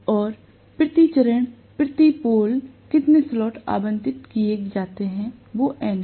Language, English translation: Hindi, And N is how many slots are allocated per pole per phase